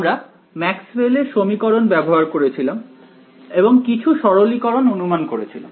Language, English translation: Bengali, We had taken Maxwell’s equations right and made some simplifying assumptions